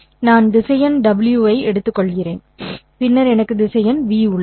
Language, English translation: Tamil, I take the vector W and then I have the vector V